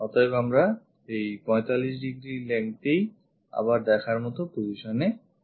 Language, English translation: Bengali, So, 45 length again we will be in a position to see